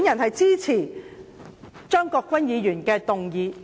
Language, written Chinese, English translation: Cantonese, 我支持張國鈞議員的議案。, I support the motion moved by Mr CHEUNG Kwok - kwan